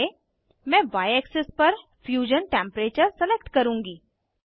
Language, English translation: Hindi, Y: I will select Fusion temperature on Y axis